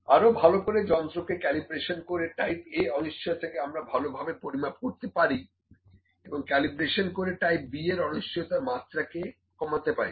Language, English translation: Bengali, Calibrations can a better calibration can quantify type A uncertainty, and calibration can reduce the level of type B uncertainty as well